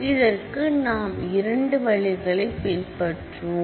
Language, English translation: Tamil, So, we primarily follow two approaches in doing this